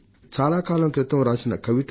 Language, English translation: Telugu, There was a poem I had read long ago